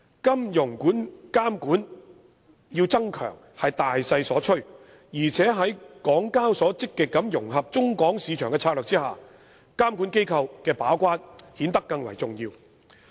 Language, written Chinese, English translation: Cantonese, 金融監管需要增強是大勢所趨，而且在港交所積極融合中港市場的策略下，監管機構的把關顯得更為重要。, Strengthening financial regulation is a general trend . And under HKExs strategy of actively integrating the markets in China and Hong Kong the gatekeeping role of regulators is of much greater importance than before